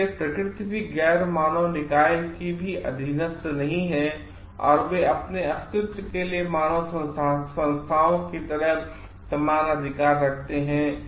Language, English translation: Hindi, And so, nature also non human entities also are not subordinate, and they are at having equal rights for like the human entities for their survival